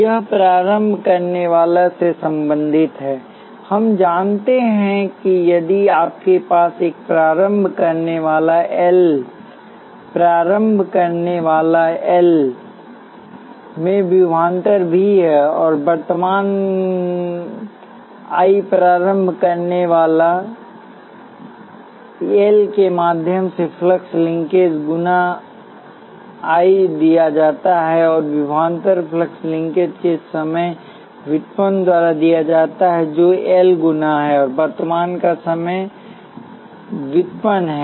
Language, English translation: Hindi, This is related to the inductor we know that if you have a voltage V across an inductor L and current I through the inductor L the flux linkage is given by L times I, and the voltage is given by the time derivative of the flux linkage which is L times and the time derivative of the current